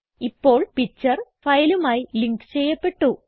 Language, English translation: Malayalam, The picture is now linked to the file